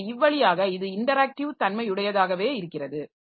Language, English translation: Tamil, So, that way it remains interactive in nature